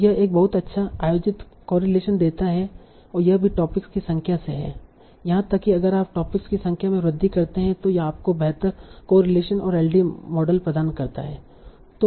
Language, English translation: Hindi, So, this is from a number of topics, even if you increase the number of topics, it gives a much better correlation than the LTA model